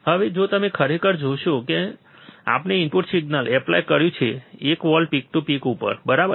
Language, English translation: Gujarati, Now, if you really see that when we have applied the input signal which is one volt peak to peak, right